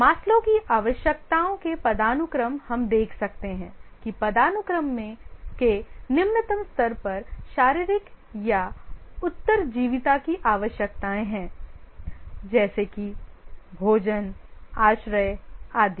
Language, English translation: Hindi, Maslow's hierarchy of needs, we can see that the lowest level of the hierarchy is the physiological or survival needs